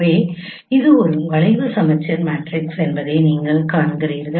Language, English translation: Tamil, So you see that this is a scheme symmetric matrix